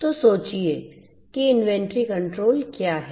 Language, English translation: Hindi, So, think about what is inventory control